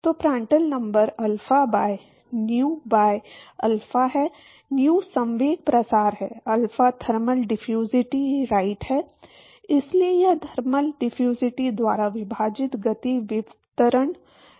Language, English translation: Hindi, So, Prandtl number is alpha by nu by alpha, nu is momentum diffusivity, alpha is thermal diffusivity right, so this is momentum diffusivity divided by thermal diffusivity